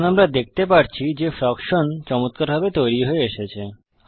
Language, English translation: Bengali, We see that the fraction has now come out nicely